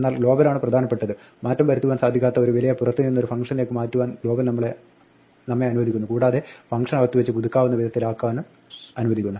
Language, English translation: Malayalam, But global is the important one, global allows us to transfer an immutable value from outside in to a function and make it updatable within a function